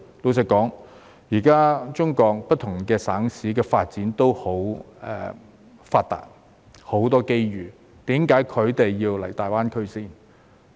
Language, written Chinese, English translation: Cantonese, 老實說，現在中國不同省市的發展也很發達，亦有很多機遇，為何他們要到大灣區呢？, To be honest there is already prosperous development in different provinces and cities in the Mainland and many opportunities are available to them . Why should they go to GBA?